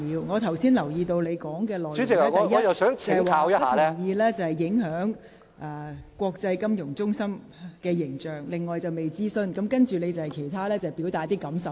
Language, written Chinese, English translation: Cantonese, 我留意到你剛才發言的內容提到：第一，你不同意議案，因會影響本港國際金融中心的形象；第二，《條例草案》未經諮詢；及後你亦表達了一些感受。, I notice that you have mentioned the following points in your speech just now . First you disagree with the motion for it will affect Hong Kongs image as an international finance centre . Second consultation on the Bill has not yet been conducted